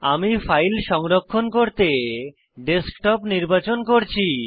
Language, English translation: Bengali, I am choosing Desktop as the location for saving my file